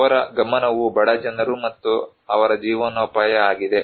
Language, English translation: Kannada, Their focus is like one poor people and their livelihood